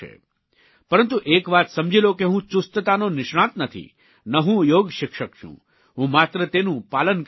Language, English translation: Gujarati, But do remember, that I am not a fitness expert, I am also not a yoga teacher